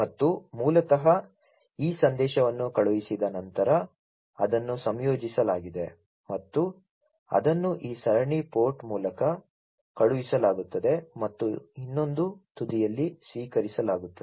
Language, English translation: Kannada, And basically there after this message is sent it is composed and it is sent through this serial port and is being received at the other end, right